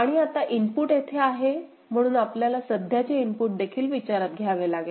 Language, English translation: Marathi, And now the input is here, so you have to consider present input as well right